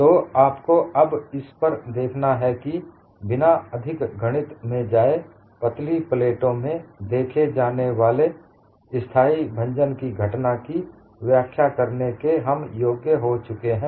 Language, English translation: Hindi, So, what you will have to look at is, without getting into much of mathematics, we have been able to explain the phenomena of stable fracture that is seen in thin plates